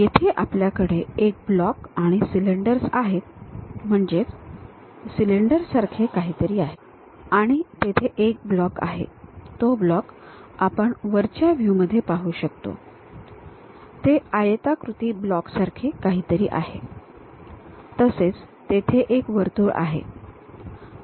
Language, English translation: Marathi, Here we have a block and cylinders, something like a cylinder and there is a block, that block we can see it in the top view it is something like a rectangular block, there is a circle